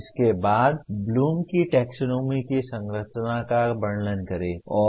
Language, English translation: Hindi, Then describe the structure of Bloom’s taxonomy